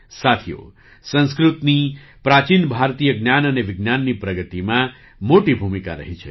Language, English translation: Gujarati, Friends, Sanskrit has played a big role in the progress of ancient Indian knowledge and science